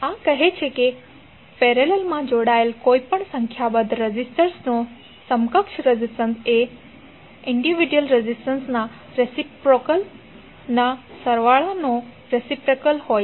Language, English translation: Gujarati, This says that equivalent resistance of any number of resistors connected in parallel is the reciprocal of the reciprocal of individual resistances